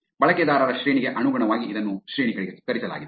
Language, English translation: Kannada, This is ranked according to the rank of the user